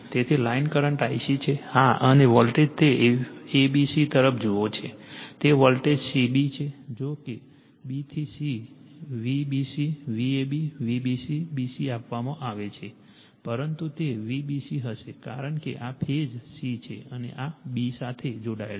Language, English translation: Gujarati, So, line current is I c , yeah and your voltage it looks at the a b c , it looks at voltage c b right although b to c, V b c, V a b, V b c b c is given, but it will be V c b because this is the phase c and this is connected to b